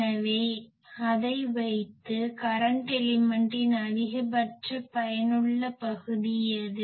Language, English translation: Tamil, So, put it so what is the maximum effective area of the current element